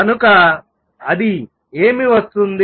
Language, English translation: Telugu, So, that what come